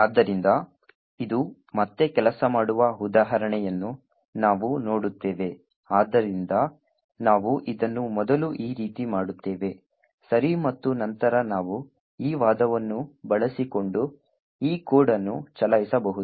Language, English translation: Kannada, So, we will see an example of this working again, so we first make this as follows, okay and then we can run this particular code using this argument